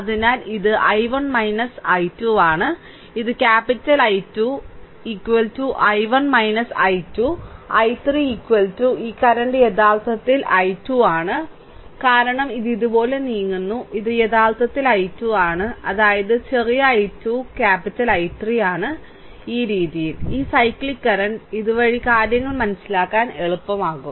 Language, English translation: Malayalam, So, it is i 1 minus i 2, this is capital I 2, right is equal to i 1 minus i 2 and I 3 is equal to this current is actually i 2 because it moves like this, right, this is actually i 2; that means, my small i 2 is equal to capital I 3, this way, this cyclic current; this way things will be easier for you to understand, right